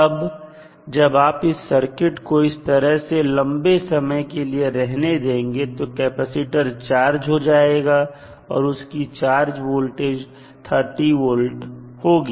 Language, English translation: Hindi, Now, when you keep the circuit like this for a longer duration, the capacitor will be charged with the voltage v which is 30 volt